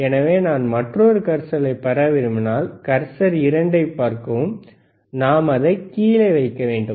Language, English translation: Tamil, So, if I want to have another cursor, see cursor 2, you can have the bottom,